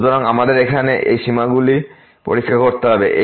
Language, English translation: Bengali, So, we have to check those limits here